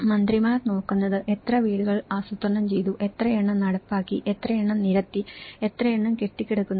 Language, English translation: Malayalam, And that is what ministers look at, how many number of houses were planned, how many have been executed, how many have been laid out and how many are pending